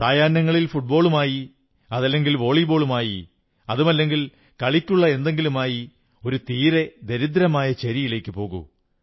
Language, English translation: Malayalam, In the evening, take your football or your volleyball or any other sports item and go to a colony of poor and lesser privileged people